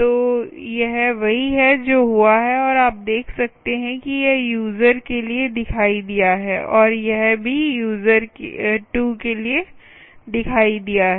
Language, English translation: Hindi, so thats what has happened and you can see that it has appeared for user one and it has also appeared for user two